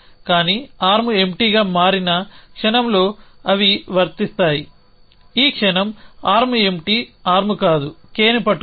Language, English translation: Telugu, But they would become applicable the moment arm becomes empty this moment is arm is not empty arm is holding K